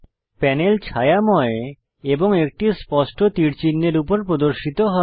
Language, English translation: Bengali, The panel is shaded and a clear arrow sign appears over it